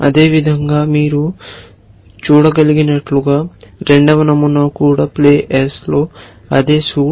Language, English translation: Telugu, Likewise as you can see the second pattern is also the same suit in play S, suit in play S